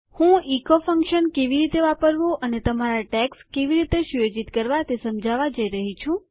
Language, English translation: Gujarati, Ill just go through how to use the echo function and how to set up your tags